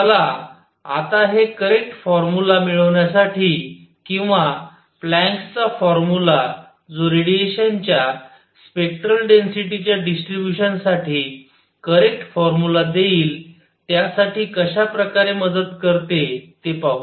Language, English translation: Marathi, Let us see how this helps in getting the right formula or the Planks’ formula for correct formula for the distribution of spectral density of the radiation